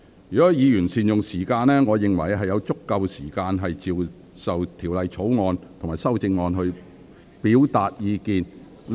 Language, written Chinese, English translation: Cantonese, 如果議員善用時間，我認為議員有足夠時間就《國歌條例草案》及其修正案表達意見......, If Members could make good use of the time I think Members would have enough time to express their views on the National Anthem Bill and its amendments